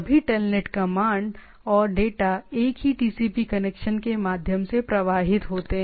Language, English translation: Hindi, So, all TELNET commands and control flow throw the same TCP connection